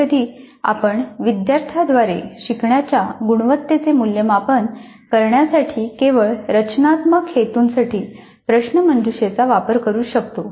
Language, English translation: Marathi, Sometimes we might conduct quizzes only for diagnostic purposes, formative purposes in order to assess the quality of learning by the students